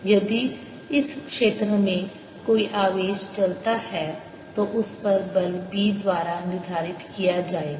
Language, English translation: Hindi, if a charge moves in this region, the force on it will be determined by b